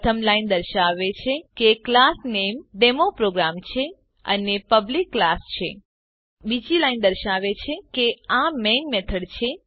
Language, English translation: Gujarati, The first line indicates that the class name is DemoProgram and its a Public class The second line indicates that this is the main method